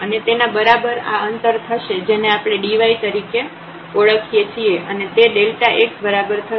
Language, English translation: Gujarati, And, this will be equal to this distance which we will call as d y and is equal to this delta x